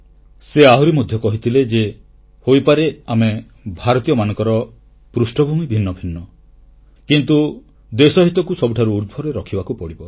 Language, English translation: Odia, He also used to say that we, Indians may be from different background but, yes, we shall have to keep the national interest above all the other things